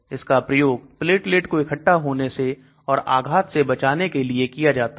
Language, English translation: Hindi, It is also used for preventing platelet aggregation, strokes